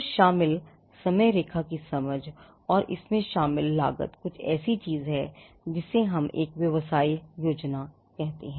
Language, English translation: Hindi, So, an understanding of the timeline involved, and the cost involved is something what we call a business plan